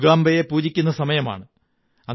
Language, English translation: Malayalam, It is a time for praying to Ma Durga